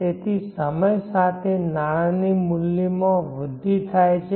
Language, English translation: Gujarati, Now with time the value of the money can grow